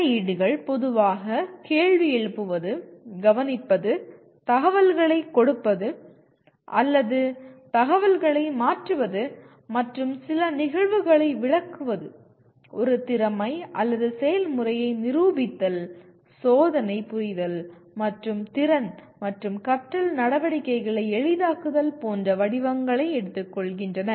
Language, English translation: Tamil, The interventions commonly take the form of questioning, listening, giving information or what we call transferring information and explaining some phenomenon, demonstrating a skill or a process, testing, understanding and capacity and facilitating learning activities such as, there is a whole bunch of them